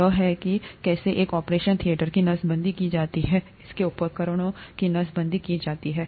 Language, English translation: Hindi, That is how an operation theatre is sterilized, how the instruments are sterilized